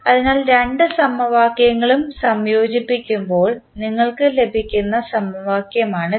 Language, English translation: Malayalam, So, this is equation which you get when you combine both of the equations